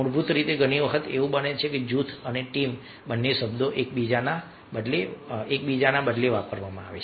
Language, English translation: Gujarati, basically, many times it happens that both the terms group and teams are used interchangeably